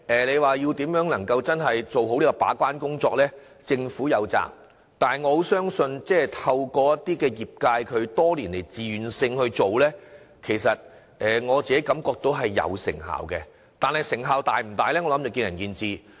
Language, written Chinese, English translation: Cantonese, 政府有責任做好把關工作，但透過業界多年來自願這樣做，我感覺到是有成效的，但成效是否大，則見仁見智。, The Government is duty - bound to properly prevent this problem . I appreciate the voluntary efforts made by the sector over the years which I think has brought some result . But as to how effective the efforts have been opinions differ